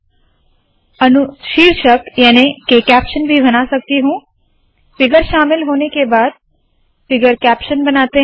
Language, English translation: Hindi, I can also create a caption, figure captions are created after the figure is included